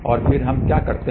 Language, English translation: Hindi, And then what we do